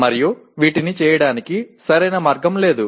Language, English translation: Telugu, And there is no one correct way of doing things